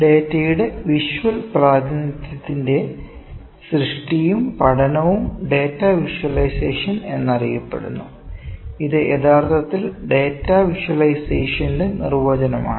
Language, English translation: Malayalam, The creation and study of visual representation of data is known as data visualisation, this is actually definition of data visualization, number one is functionality